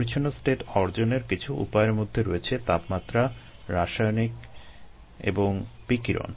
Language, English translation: Bengali, some of the we means of achieving a clean slate is high temperature, chemicals and radiation